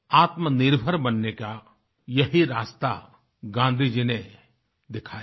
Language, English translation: Hindi, This was the path shown by Gandhi ji towards self reliance